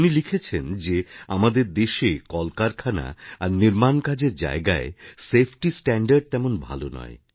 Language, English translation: Bengali, He writes that in our country, safety standards at factories and construction sites are not upto the mark